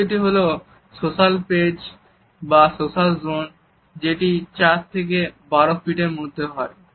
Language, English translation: Bengali, The third is the social space or the social zone, which is somewhere from 4 to 12 feet